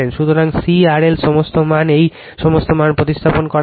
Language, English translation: Bengali, So, C R L all values are given you substitute all this value